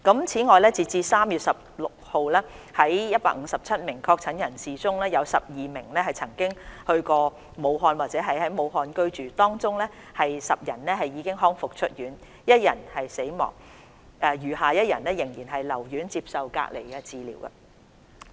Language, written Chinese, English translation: Cantonese, 此外，截至3月16日，在157名確診人士中，有12名曾到過武漢或在武漢居住，當中10人已康復出院 ，1 人死亡，餘下1人仍然留院接受隔離治療。, Furthermore as at 16 March among the 157 patients confirmed with the disease 12 had visited Wuhan or are Wuhan residents . Out of them 10 have recovered and have been discharged one passed away and one is still hospitalized for isolation treatment